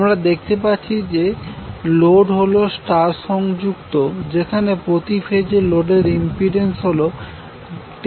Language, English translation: Bengali, Load we can see that it is star connected again where the per phase impedance of the load is 10 plus j8 ohm